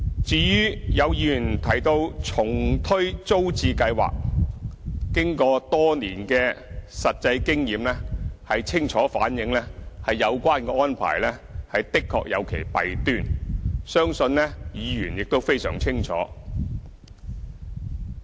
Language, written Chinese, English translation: Cantonese, 至於有議員提到重推租置計劃，經過多年的實際經驗，清楚反映有關安排的確有其弊端，相信議員亦非常清楚。, As for a relaunch of the Tenants Purchase Scheme TPS as suggested by some Members years of practical experience clearly reflects that the arrangement is indeed flawed which Members I believe should know very well